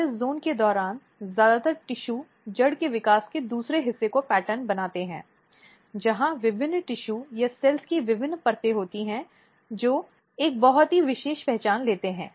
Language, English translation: Hindi, And during this zone mostly tissue patterning the second part of the development in the root takes place, where different tissues or different layers of the cells they take a very special identity